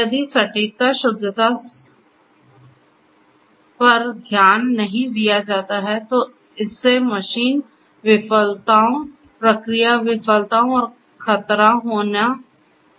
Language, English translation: Hindi, If precision, correctness, accuracy is not taken into account then that might lead to you know machine failures, process failures and including you know hazards